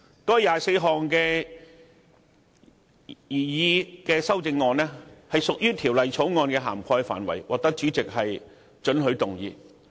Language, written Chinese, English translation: Cantonese, 該24項修正案屬於《條例草案》的涵蓋範圍，因此獲主席准許可以提出。, These 24 amendments were deemed admissible by the President as they were within the scope of the Bill